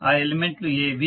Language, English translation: Telugu, What are those elements